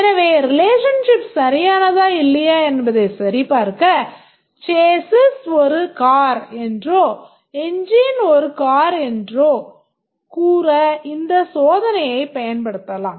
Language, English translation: Tamil, So, to check whether the relationship is correct or not, we can use this test that we can say that whether a chassis is a car, engine is a car